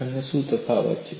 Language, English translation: Gujarati, And what is the difference